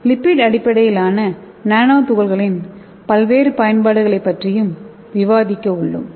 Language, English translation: Tamil, And also we are going to see various applications of lipid based nanoparticles